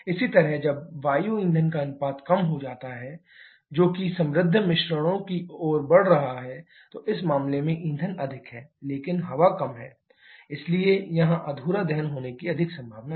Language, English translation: Hindi, Similarly, when air fuel ratio reduces that is your moving to the rich mixtures, in this case fuel is more but air is less, so here there is more probability of having incomplete combustion